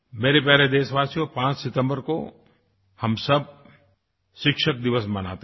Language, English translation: Hindi, My dear countrymen, we celebrate 5th September as Teacher's Day